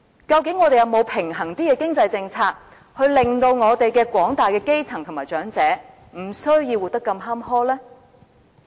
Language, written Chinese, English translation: Cantonese, 究竟我們是否有較平衡的經濟政策，令到廣大基層和長者不需要活得如此坎坷呢？, Can we actually put in place a more equitable policy to deliver the broad masses of grass - root and elderly people from such a miserable life?